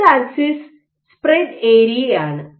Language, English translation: Malayalam, So, x axis is your spread area